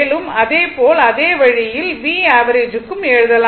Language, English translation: Tamil, Same way, you can make say V average right